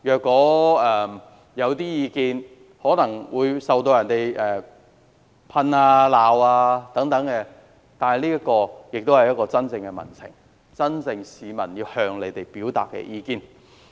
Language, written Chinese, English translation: Cantonese, 官員落區，可能會受到批評或責罵，但這也代表真正的民情，是市民真正要向官員表達的意見。, Officials visiting the districts may be criticized or reproached but this exactly represents genuine public sentiments that people really want to convey